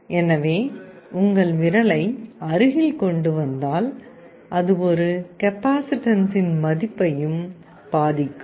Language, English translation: Tamil, So, if you bring your finger that will also affect the value of the capacitance